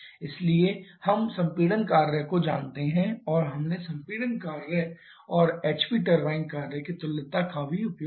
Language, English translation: Hindi, So, we know the compression work and we have also used the equivalence of the compression work an HP turbine work from there we have got the temperature T 4